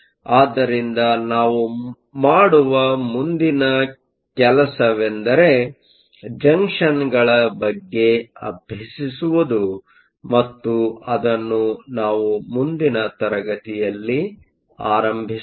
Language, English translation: Kannada, So, the next thing we will do is to look at junctions and that we will look starting from next class